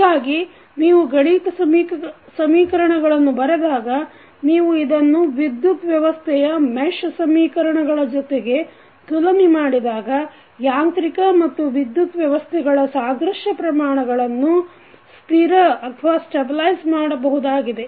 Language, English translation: Kannada, So, when you write the mathematical equation you will compare this with the mesh equation of the electrical system and then you can stabilize the analogous quantities of mechanical and the electrical system